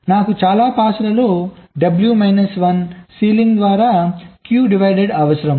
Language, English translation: Telugu, so i need q divide by w minus one ceiling of that, so many passes